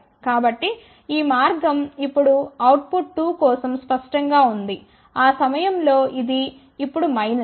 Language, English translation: Telugu, So that means, this path is now clear for output 2, at that particular time this is now minus